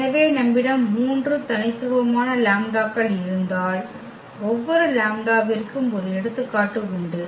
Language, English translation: Tamil, So, if we have 3 distinct lambdas for example so, for each lambda